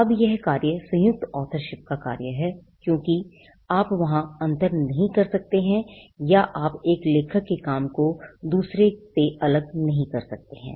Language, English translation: Hindi, Now the work is a work of joint authorship because, there you cannot distinguish or you cannot separate the work of one author from the others